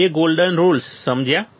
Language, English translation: Gujarati, Two golden rules understood